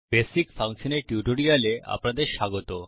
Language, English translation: Bengali, Welcome to the Spoken Tutorial on the Basic Function